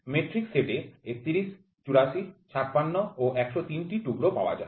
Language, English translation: Bengali, In metric set of 31, 48, 56 and 103 pieces are available